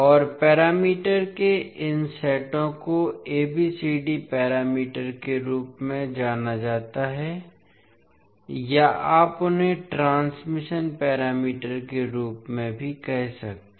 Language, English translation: Hindi, And these sets of parameters are known as ABCD parameters or you can also say them as transmission parameters